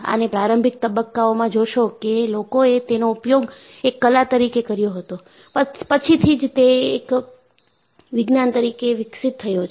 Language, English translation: Gujarati, So, in the initial stages, you find that people used it as art, later it developed into a science